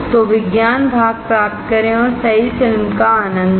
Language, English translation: Hindi, So, get the science part and enjoy the movie right see